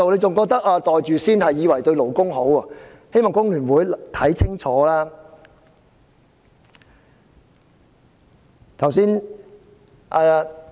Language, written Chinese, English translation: Cantonese, 他們以為"袋住先"對勞工有好處，我請工聯會議員想清楚。, They think that pocketing it first is good for workers . I ask FTU members to think it over